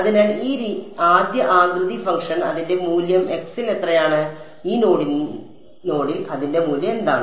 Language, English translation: Malayalam, So, this first shape function what is its value at x equal to x 1 e at this node what is its value